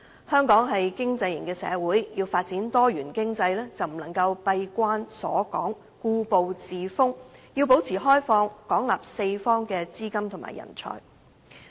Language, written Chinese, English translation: Cantonese, 香港是經濟型社會，要發展多元經濟，就不能夠閉關鎖港，故步自封，要保持開放，廣納四方資金及人才。, To develop diversified economy in Hong Kong an economic society we must not become isolated and refuse to make progress; instead we must open ourselves to the outside world and absorb capital and talents from various parts of the world